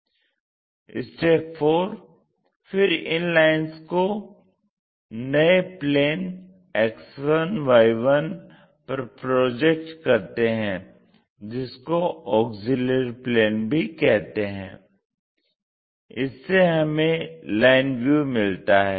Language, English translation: Hindi, Now, project all these lines on to this new plane which we call auxiliary plane X 1, Y 1 plane